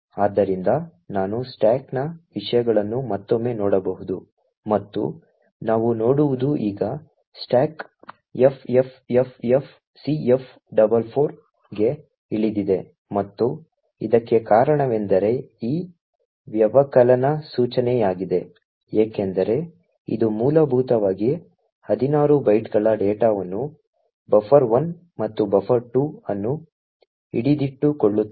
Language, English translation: Kannada, So I could look at the contents of the stack again are like follows and what we see is that now the stack has actually gone down to ffffcf44 and the reason for this is because of this subtract instruction which is essentially allocating 16 bytes of data who hold buffer 1 and buffer 2